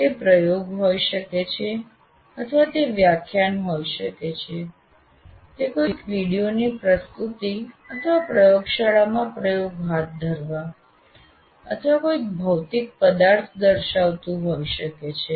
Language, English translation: Gujarati, It could be an experiment or it could be a lecture, it could be presentation of something else, a video or even conducting an experiment in the lab or showing a physical object, but he is demonstrating